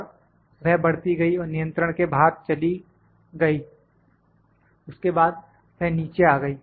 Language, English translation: Hindi, And it kept on increasing and it went out of control then it came down